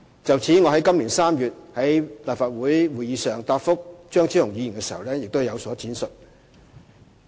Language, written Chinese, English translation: Cantonese, 就此，我於今年3月在立法會會議上答覆張超雄議員時已有所闡述。, In this regard an elaboration was already given by me at a Legislative Council meeting in March this year in my reply to Dr Fernando CHEUNG